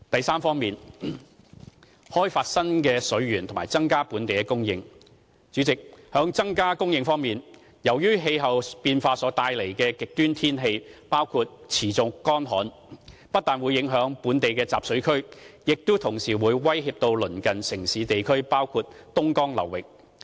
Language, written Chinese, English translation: Cantonese, c 開發新的水源和增加本地供應代理主席，在增加供應方面，由於氣候變化所帶來的極端天氣包括持續乾旱，不但影響本地集水區，亦同時威脅鄰近城市地區，包括東江流域。, c Development of new water resources and increase in local supply Deputy President in the area of increasing water supply because the extreme weather conditions brought about by climate change include persistent drought not only our catchments are affected but nearby cities and areas are also under threat including the Dongjiang River Basin